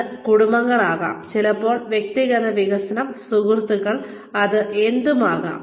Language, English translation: Malayalam, It is families, sometimes, its personal development, its friends, it is, it could be anything